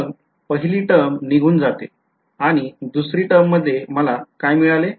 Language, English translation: Marathi, So, the first term goes away second term what will I get